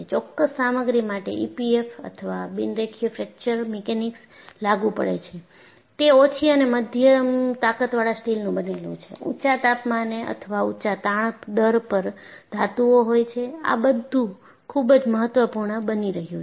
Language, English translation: Gujarati, Typical materials for which E P F M or Non linear Fracture Mechanics is applicable are low and medium strength steel, metals at high temperatures or high strain rates; these are all becoming very important